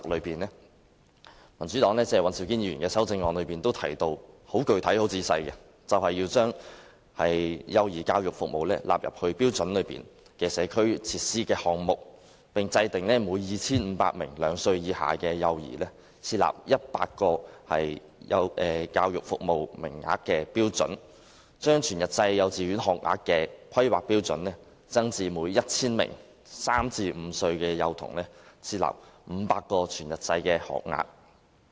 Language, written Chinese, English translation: Cantonese, 民主黨尹兆堅議員的修正案具體提到，要將幼兒教育服務納入《規劃標準》的社區設施項目，並制訂每 2,500 名兩歲以下幼兒設100個教育服務名額的標準；把全日制幼稚園學額的規劃標準，增至每 1,000 名3歲至5歲幼童設500個全日制學額。, The amendment of Mr Andrew WAN from the Democratic Party specifically mentions incorporating early childhood education service into the item of community facilities in HKPSG and setting the standard of providing 100 education service places for every 2 500 children under two years of age; raising the planning standard for full - day kindergarten places to providing 500 full - day places for every 1 000 children between the age of three to five